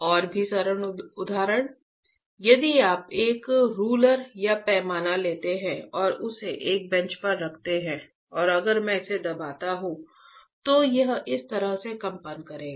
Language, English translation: Hindi, Even simpler example: if you take a ruler or a scale and place it on a bench right, then if I press it, it will vibrate like this